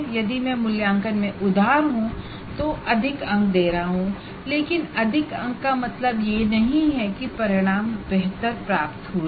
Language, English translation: Hindi, If I am strict or liberal with that, I am giving more marks, but more marks doesn't mean that I have attained my outcome